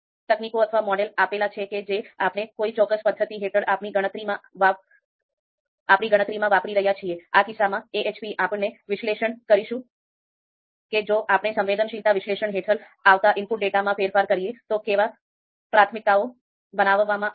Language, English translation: Gujarati, So given the given the you know techniques or model that we are using in in our calculation under a particular method, so in this case AHP, so given how the priorities are going to be created if we change the input data, you know if we vary the input data, how that is going to impact the results